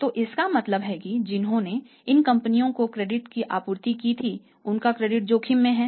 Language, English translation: Hindi, So it means anybody who had supplied credit to these companies their credit is at risk